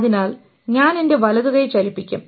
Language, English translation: Malayalam, So I will to move my right hand